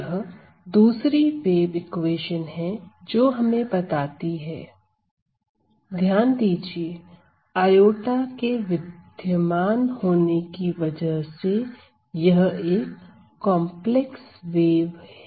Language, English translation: Hindi, So, this is another wave equation, which tells us notice that this is now a complex wave because of the presence of this iota